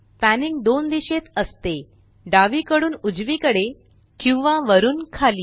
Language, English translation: Marathi, Panning is in 2 directions – left to right or up and down